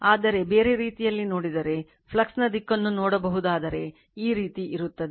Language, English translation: Kannada, But, if you see in other way, if you can see direction of the flux is like this